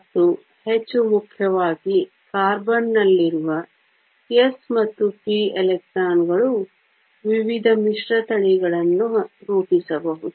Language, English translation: Kannada, And more importantly the s and the p electrons in carbon can form a variety of hybridizations